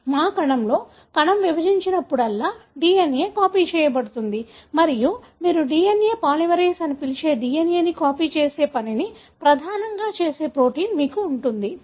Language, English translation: Telugu, So, in our cell, whenever the cell divides, the DNA gets copied and you have a protein that mainly does the function of copying the DNA, which you call as DNA polymerase